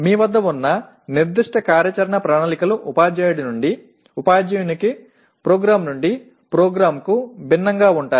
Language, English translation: Telugu, That is how the specific action plans that you have will differ from teacher to teacher from program to program